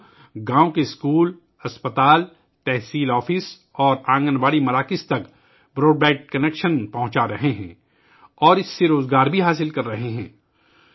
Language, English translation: Urdu, These people are providing broadband connection to the schools, hospitals, tehsil offices and Anganwadi centers of the villages and are also getting employment from it